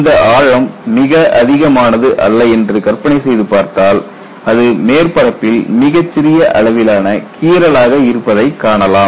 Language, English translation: Tamil, Imagine that this depth is not this high, but this is still very small, you will only have a scratch on the surface